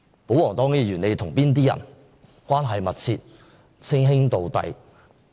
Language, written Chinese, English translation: Cantonese, 保皇黨議員與哪些人關係密切、稱兄道弟？, Whom do the royalists Members maintain a close brotherly relationship with?